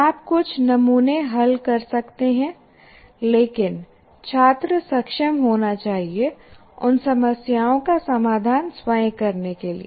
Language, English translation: Hindi, You may solve some sample, but the students should be able to solve those problems by themselves